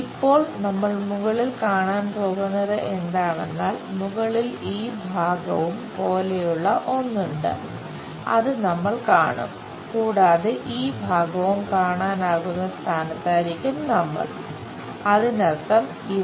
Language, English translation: Malayalam, Now, top what we are going to see is there is something like this part, we will see and this part, we will be in a position to see; that means, this one